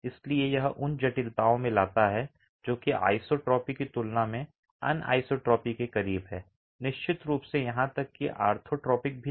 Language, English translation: Hindi, So it brings in complexities, it's closer to anisotropy than isotropy for sure, not even orthotropic